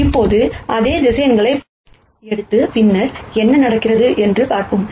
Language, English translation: Tamil, Now, let us take the same vectors and then see what happens